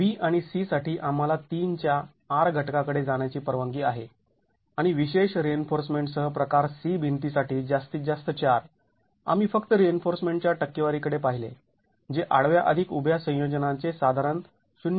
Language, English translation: Marathi, B and C we are allowed to go to R factors of 3 and a maximum of 4 for type C wall which is with special reinforcement, we just looked at the percentage of reinforcement which is about 0